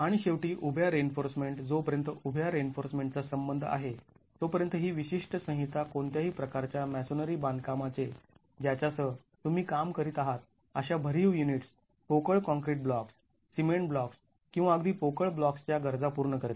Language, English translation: Marathi, As far as a vertical reinforcement is concerned, this particular code caters to any type of masonry construction that you are working with solid units, hollow concrete blocks, the cement blocks or even the hollow clay blocks